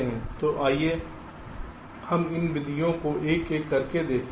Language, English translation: Hindi, so let us look into this methods one by one